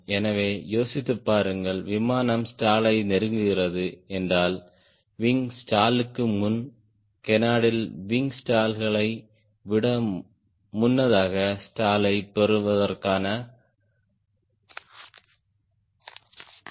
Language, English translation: Tamil, so think of if the airplane is approaching stall then before the wing stall the canard will start giving signal of getting stall earlier than the wing stalls